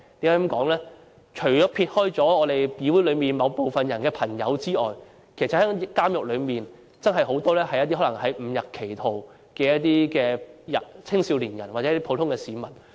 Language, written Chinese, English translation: Cantonese, 監獄內除了有議會內某部分人士的朋友外，還有很多誤入歧途的青少年或普通市民。, In prisons apart from those who are friends of some Legislative Council Members there are also many young people or ordinary citizens who have gone astray